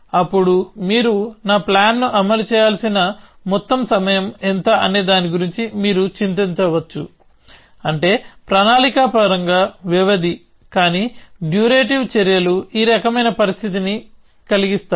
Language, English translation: Telugu, Then you might worry about what is the total amount of time that my plan will need to execute, which is call make span in planning terms, but durative actions brings these kind of situation